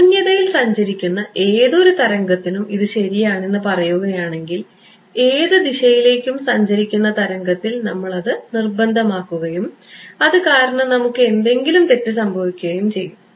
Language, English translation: Malayalam, Saying that it should hold true for a wave traveling in vacuum, we will force it on wave traveling in any direction and we will suffer some error because of that